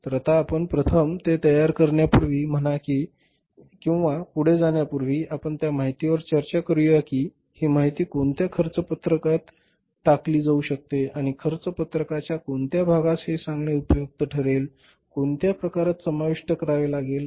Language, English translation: Marathi, So now we have first before say preparing it and going forward let us discuss this information that where this information could be put into the cost sheet and which part of the cost sheet it can be useful to say include in the which type of the cost